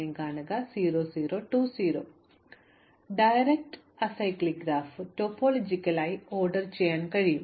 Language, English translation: Malayalam, Any directed acyclic graph can be topologically ordered